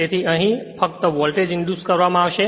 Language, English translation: Gujarati, So, only voltage will be induced here and here